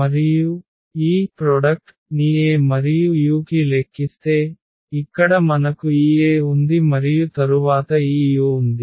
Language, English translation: Telugu, And, with this if we compute this product here A and u so, here we have this A and then we have this u